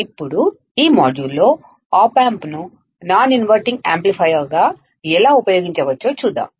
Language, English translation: Telugu, Now, in this module, let us see how we can use the op amp as a non inverting amplifier